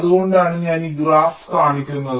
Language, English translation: Malayalam, thats why i am showing this graph